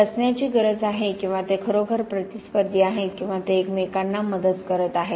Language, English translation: Marathi, Do they need to be, or are they really competitors or they are actually helping each other